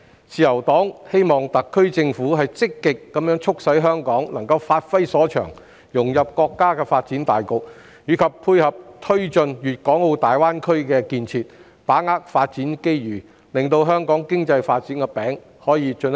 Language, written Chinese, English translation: Cantonese, 自由黨希望特區政府積極促使香港發揮所長，融入國家發展大局及配合推進粵港澳大灣區建設，把握發展機遇，進一步造大香港經濟發展的"餅"。, The Liberal Party hopes that the SAR Government will actively enable Hong Kong to give full play to its strengths and integrate into the overall development of the country and assist in taking forward the Guangdong - Hong Kong - Macao Greater Bay Area GBA development so as to grasp the development opportunities and make the pie of Hong Kong economic development bigger